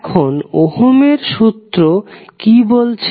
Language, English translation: Bengali, Now, what Ohm’s law says